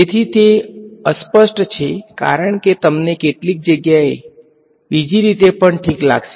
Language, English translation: Gujarati, So, that is unambiguous because you might find in some places the other way also alright